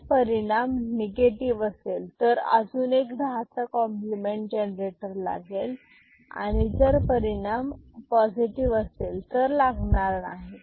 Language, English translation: Marathi, And, if the result is negative another 10’s complement generator here ok, if the result is positive, it is not required ok